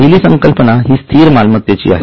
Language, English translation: Marathi, So, the first one is fixed assets